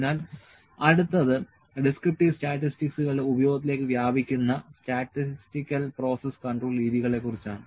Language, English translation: Malayalam, So, next is statistical process control methods; statistical process control methods extend to the use of the descriptive statistics